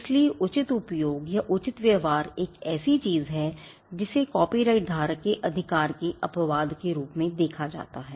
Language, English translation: Hindi, So, fair use or fair dealing is something that is seen as an exception to the right of the copyright holder